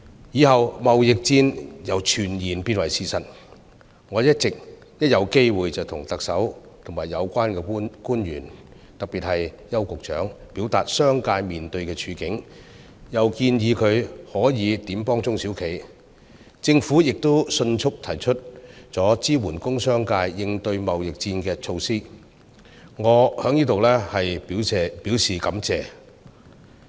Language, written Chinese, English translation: Cantonese, 之後，貿易戰由傳言變成事實，我一有機會便向特首和有關官員，特別是向邱局長，表達商界面對的處境，又建議他可以如何幫助中小企，政府亦迅速提出支援工商界應對貿易戰的措施，我在此表示感謝。, Whenever I had the opportunity I would express to the Chief Executive and relevant officials especially Secretary Edward YAU the situation facing the business sector . I also suggested to him the measures that could help SMEs . The Government also quickly introduced measures to support the industrial and commercial sectors in coping with the trade war